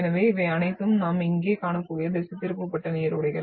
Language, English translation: Tamil, So these are all deflected streams we can see here